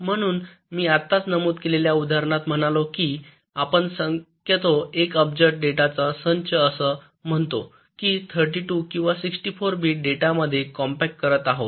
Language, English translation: Marathi, i said that we are possibly compacting one billion bits of data into, lets say, thirty two or sixty four bits of data